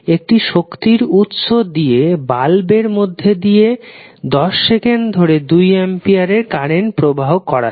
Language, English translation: Bengali, An energy source forces a constant current of 2 ampere for 10 seconds to flow through a light bulb